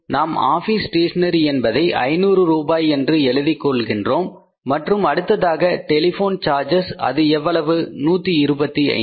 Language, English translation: Tamil, So, office stationery is how much we are taking the office stationery as 500 rupees and then is the telephone charges